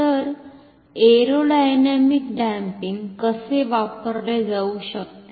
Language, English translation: Marathi, So, how an aerodynamic damping can be used